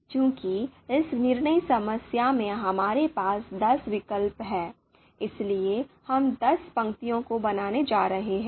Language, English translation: Hindi, So since in this decision problem we have ten alternatives, therefore we are going to create ten rows